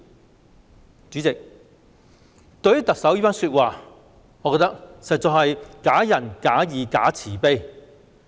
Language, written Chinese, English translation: Cantonese, 代理主席，對於特首這番說話，我覺得實在是假仁假義、假慈悲。, Deputy President in my view the Chief Executive is mendacious and hypocritical when making those remarks